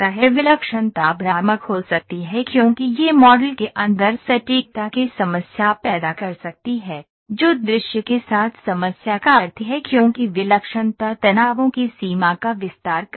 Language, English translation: Hindi, Singularity can be confusing because it may cause an accuracy problem inside the model, which implies the problem with visualisation because singularity extends the range of stresses